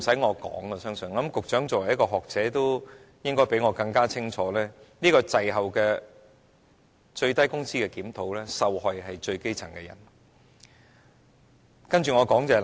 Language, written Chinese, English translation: Cantonese, 我相信局長作為一位學者應該比我認識更清楚，這個滯後的最低工資檢討，受害的是最基層的人。, I believe the Secretary as a scholar ought to know better than I do that the victims of such a lagged review of the minimum wage rate are the grass roots